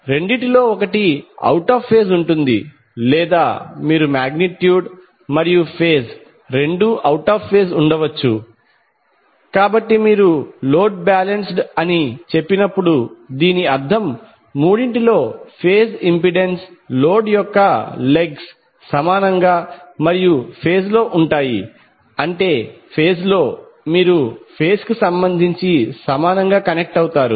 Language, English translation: Telugu, So you will have the magnitude as well as phase both either of two will be out of phase or you can have magnitude as well as phase both out of phase, so when you say the load is balanced it means that phase impedances in all three legs of the load are equal and in phase, in phase means you will have equally connected with respect to phase